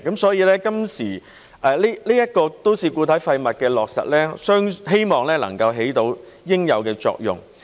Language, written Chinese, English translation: Cantonese, 所以，都市固體廢物收費的落實，我希望能夠起到應有的作用。, Therefore with the implementation of MSW charging I hope that the desired results can be achieved